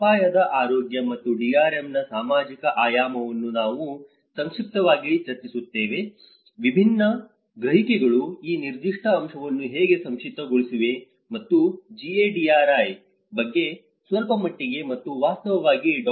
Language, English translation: Kannada, Social dimension of risk health and DRM which I will just briefly discuss about how different perceptions have summarized this particular aspect and also little bit about GADRI and in fact Dr